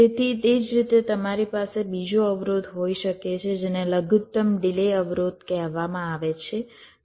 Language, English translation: Gujarati, so in a similar way you can have another constraint that is called a min delay constraint